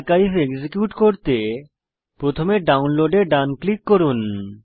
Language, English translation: Bengali, To extract the archive, first right click on the download